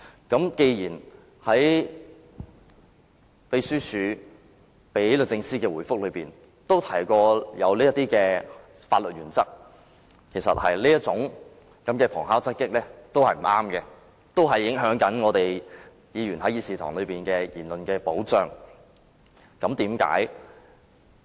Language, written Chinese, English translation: Cantonese, 既然立法會秘書處發送予律政司的覆函均提及有關的法律原則，我認為這種旁敲側擊的做法是不對的，會影響議員在議事堂的言論保障。, As the Secretariats reply letter to DoJ already refers to the relevant legal principles I do not think it is alright for them to adopt such a backhanded approach as this will adversely affect the protection of Members speeches in this Chamber